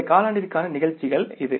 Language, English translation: Tamil, This is not for this quarter